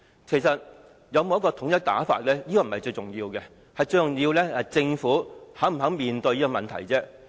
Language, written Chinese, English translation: Cantonese, 其實有否統一的手語手勢並非最重要，最重要的是政府是否願意面對這個問題。, The key lies in not the absence of standard signs but the Governments willingness to address the problem